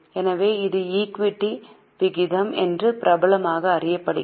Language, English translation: Tamil, So, it is popularly known as equity ratio